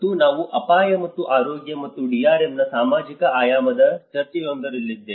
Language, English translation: Kannada, And I was in one of the discussion where the social dimension of risk and health and DRM